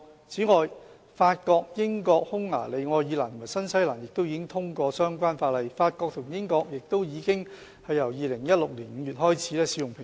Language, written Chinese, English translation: Cantonese, 此外，法國、英國、匈牙利、愛爾蘭和新西蘭亦已經通過相關法例，法國和英國亦由2016年5月開始使用平裝。, Moreover France the United Kingdom Hungary Ireland and New Zealand have also passed relevant legislation . Since May 2016 France and the United Kingdom have also implemented plain packaging